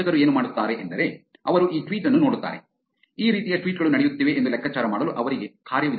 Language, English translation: Kannada, What the fraudsters do is they look at this tweet, they have mechanisms to figure out these kind of tweets are going on